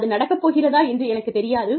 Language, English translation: Tamil, I do not know, if it is going to happen